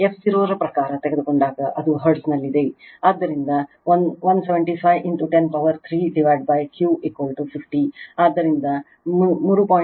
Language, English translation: Kannada, When you take in terms of f 0, it is in hertz, so 175 into 10 to the power 3 divided by Q is equal to 50, so 3